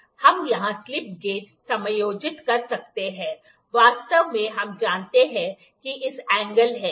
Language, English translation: Hindi, We can adjust the slip gauges here, actually we know that this angle this angle, if it is theta